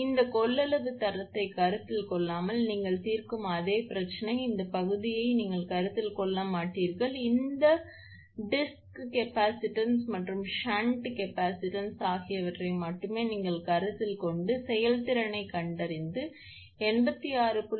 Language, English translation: Tamil, Same problem you will solve without considering this capacitance grading, this part you will not consider, only you consider this disc capacitance and this shunt capacitance, and try to find out efficiency and compare that one with 86